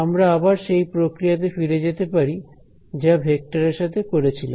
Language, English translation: Bengali, We can again go back to how we had done this process with vectors right